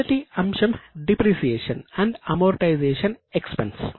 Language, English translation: Telugu, The first item is depreciation and amortization expenses